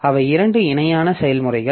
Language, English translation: Tamil, So, they are two parallel processes